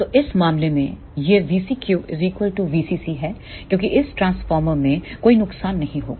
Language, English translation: Hindi, So, in this case this V CQ will be equal to V CC because there will not be any losses in this transformer